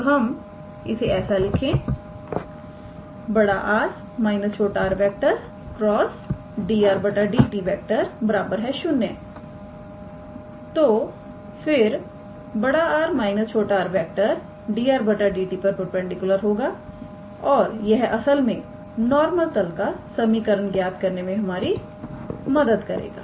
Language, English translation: Hindi, So, if I write capital R minus small r dot product with dr dt equals to 0, then capital R minus small r is perpendicular to dr dt and that will actually help us to obtain the equation of the normal plane